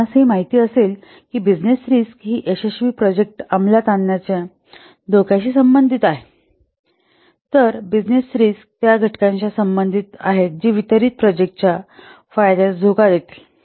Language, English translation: Marathi, We know that the business risks, they are related to the threats to completion to successful project execution, whereas business risks are related to the factors which will threat the benefits of the delivered project